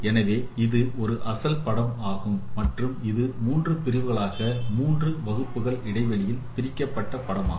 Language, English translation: Tamil, So, this is the original image and this is the segmented image into three segments, three classes of intervals